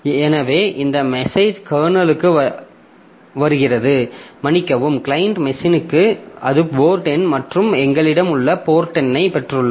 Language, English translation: Tamil, So, that message comes to the current, comes to the kernel, sorry, comes to the client machine where it has got the port number and the port number that we have